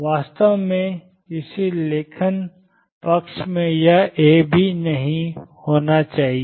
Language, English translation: Hindi, In fact, in some writing side even this A should not be there